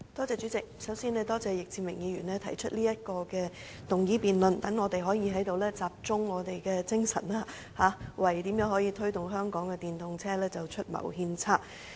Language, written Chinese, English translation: Cantonese, 主席，首先，我感謝易志明議員提出今天這項議案辯論，讓我們可以在此集中精神，為推動香港電動車普及化出謀獻策。, President first of all I thank Mr Frankie YICK for proposing this motion debate today so that we can gather here and focus on finding a strategy for promoting the popularization of electric vehicles EVs in Hong Kong